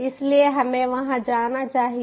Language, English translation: Hindi, so lets go there